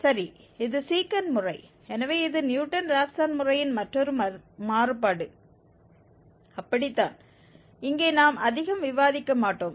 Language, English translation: Tamil, Well, the Secant Method, so it is the another variant of this Newton Raphson method only so here we will not discuss much